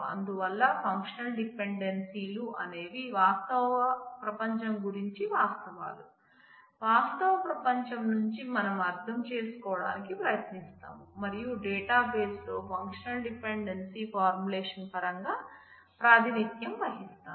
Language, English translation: Telugu, So, functional dependencies are facts about the real world that we try to understand from the real world and then, represent in terms of the functional dependency formulation in the database